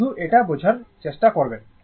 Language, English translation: Bengali, Just try, just try to understand this